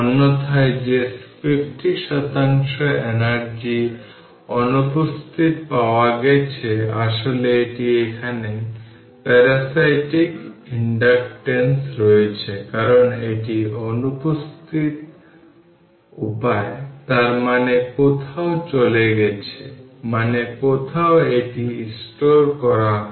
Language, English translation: Bengali, Otherwise that 50 percent energy missing if you had considered that you should have found actually ah it is here in the parasitic inductances right that because it is missing means; that means, some where it has gone ; that means, some where it is stored